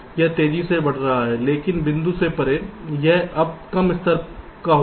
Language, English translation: Hindi, so it will go on rapidly increasing, but beyond the point it will now a less level of